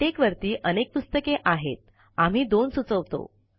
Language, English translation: Marathi, There are many books on Latex, we recommend two